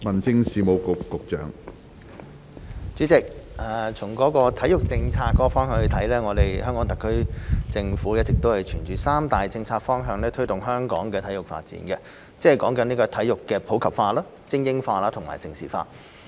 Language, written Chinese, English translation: Cantonese, 主席，從體育政策方面來說，香港特別行政區政府一直沿着三大策略方向推動香港的體育發展，即體育普及化、精英化、盛事化。, President from a sports policy perspective the Government of the Hong Kong Special Administrative Region has been promoting sports development in Hong Kong with a three - pronged strategic approach namely promoting sports in the community supporting elite sports and maintaining Hong Kong as a centre for major international sports events